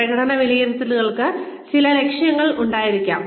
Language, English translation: Malayalam, Performance appraisals should have some targets